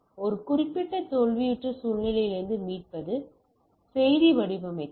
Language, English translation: Tamil, Recovery from a particular failed situation, message formatting